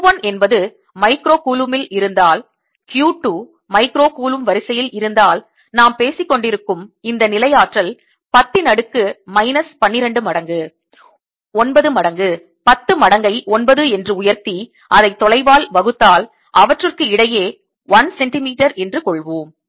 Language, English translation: Tamil, q two is of the order of micro colomb, then this potential energy we are talking (refer time 0four:00) about, let me, will be of the order of ten days, two minus twelve times nine times ten raise to nine, divided by the distance is, say, one centimeter between them